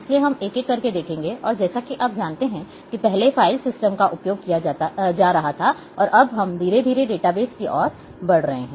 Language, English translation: Hindi, So, we will go through one by one, and a also as you know that a file systems and earlier file systems were being used and now we are going slowly slowly or moving towards the database